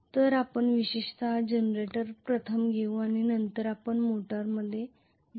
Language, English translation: Marathi, So we will take up specifically generator first then we will go into the motor